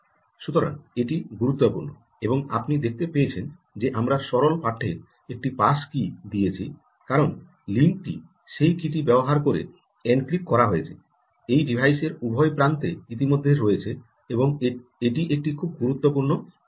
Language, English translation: Bengali, ok, so that is important, and you may have seen that we gave a pass key in plain text because the link is encrypted using that key that is already there on on either end of the devices, and this is a very important ah thing